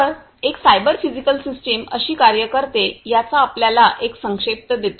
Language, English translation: Marathi, So, just you give you a recap of how a cyber physical system works